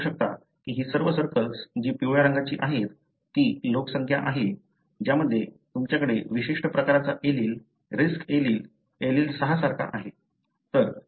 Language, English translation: Marathi, You can see that all these circles that are with yellow colour are the populations, wherein you have the particular variant allele, risk allele, like allele 6